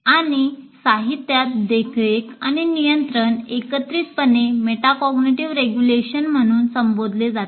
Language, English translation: Marathi, And in the literature, monitoring and control are together referred to as regulation, as metacognitive regulation